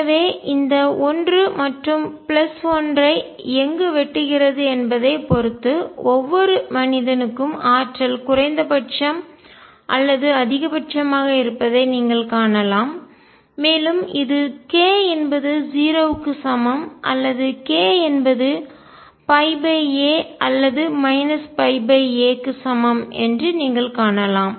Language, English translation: Tamil, So, you can see for each man energy is either minimum or maximum depending on where this cuts this 1 and plus 1 and you will find that this is either k equals 0 or k equals pi by a or minus pi by a